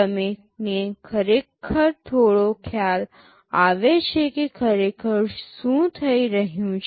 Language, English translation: Gujarati, You get some idea what is actually happening